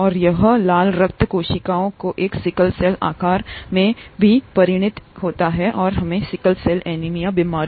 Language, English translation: Hindi, And it also results in a sickle cell shape of the red blood cells and the disease